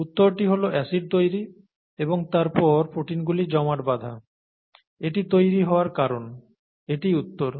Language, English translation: Bengali, The answer is acid formation and consequent protein aggregation, is what causes curd formation, okay, this is the answer